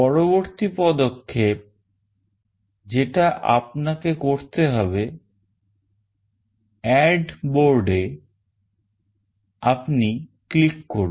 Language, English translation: Bengali, The next step you have to follow is: you click on Add Board